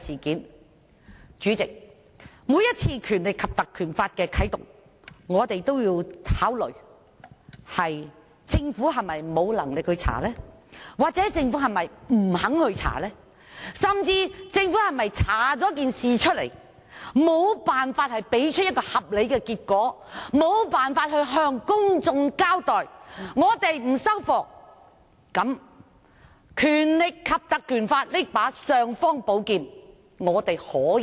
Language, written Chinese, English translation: Cantonese, 代理主席，每當要啟動《條例》，我們均會考慮政府是否沒能力或不肯調查，甚至是否政府調查後無法提出合理結果向公眾交代，而我們亦不接受，才可以適時啟動《條例》這把"尚方寶劍"。, Deputy President every time before we invoke the Ordinance we will consider whether the Government is incapable or unwilling to inquire into the incident concerned; or whether the Government still fails to give a reasonable account to the public after an inquiry is conducted . It is only when Members find the situation unacceptable that we invoke the Ordinance to use the imperial sword as appropriate